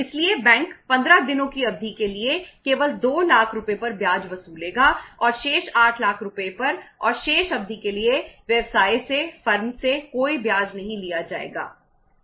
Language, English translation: Hindi, So bank will charge interest only on 2 lakh rupees for a period of 15 days and on the remaining 8 lakh rupees and for the remaining period no interest will be charged from the firm, from the business